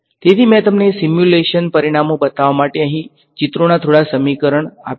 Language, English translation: Gujarati, So, I have just put a few simple equations of pictures over here to show you simulation results